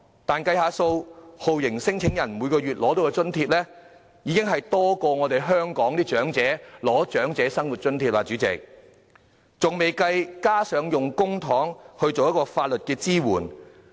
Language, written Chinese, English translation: Cantonese, 但是，計算一下，酷刑聲請人每月獲得的津貼，較香港的長者生活津貼還要多。代理主席，還未計算要用公帑提供法律支援。, However in our brief calculation the level of allowance received by torture claimants each month is even much higher than that of the Old Age Living Allowance in Hong Kong while the amount of public money used for providing legal assistance has not been taken into account Deputy President